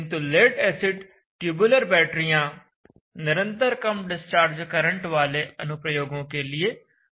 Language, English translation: Hindi, Now if we take lead acid tubular battery it is good for continuous low discharge application